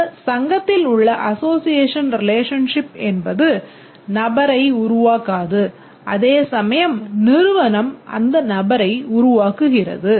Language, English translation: Tamil, This is association relationship and the club does not create the person whereas here the company creates the person